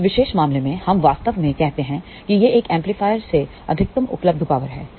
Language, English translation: Hindi, In that particular case, we actually say that this is the maximum available power from an amplifier